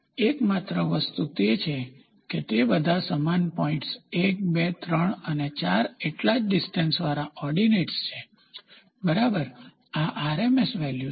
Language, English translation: Gujarati, The only thing is they are all equally spaced ordinates at points 1, 2, 3 and so 4th, ok, this is RMS value